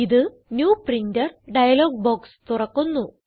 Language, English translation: Malayalam, It will open the New Printer dialog box